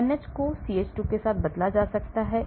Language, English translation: Hindi, NH can be replaced by CH2